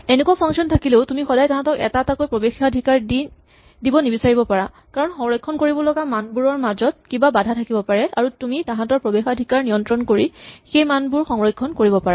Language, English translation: Assamese, Even if you have these functions you do not always want to give these functions individually, because there might be some constraints between the values which have to be preserved and you can preserve those by controlling access to them